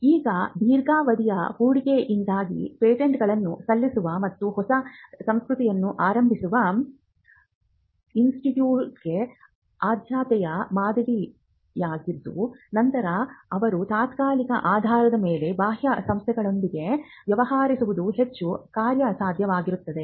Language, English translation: Kannada, Now, because of the long term investment involved the preferred model for institute which is looking at filing patents and starting up a new culture then it will be more viable for them to deal with external organizations on an adhoc basis